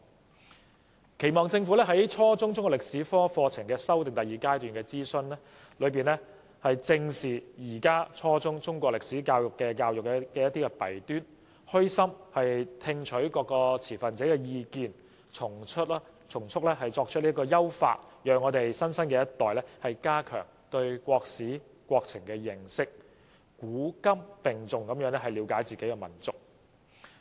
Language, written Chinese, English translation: Cantonese, 我期望政府在初中中國歷史科課程修訂第二階段進行諮詢時，正視現時初中中國歷史教育的弊端，虛心聽取各持份者的意見，從速採取優化措施，讓新生一代加強對國史國情的認識，古今並重地了解自己的民族。, During the second stage of consultation on the Chinese History curriculum at the junior secondary level I hope the Government can address squarely the drawbacks of Chinese history education at the junior secondary level humbly listen to the views expressed by various stakeholders and adopt improvement measures expeditiously to enable the new generation to gain a better understanding of Chinese history and our country and appreciate their own nation with equal emphasis put on ancient and modern times